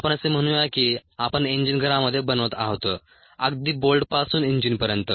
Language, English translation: Marathi, let us say that we are putting the engine together in house, the right from the bolt to the engine